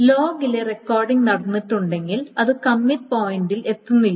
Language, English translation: Malayalam, So if the recording in the log is not taken place, then it doesn't say to reach the commit point